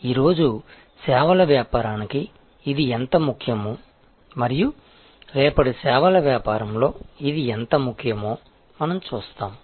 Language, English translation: Telugu, And we will see, how important it is for services business today and how more important it will be in services business of tomorrow